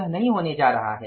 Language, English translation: Hindi, It is not going to happen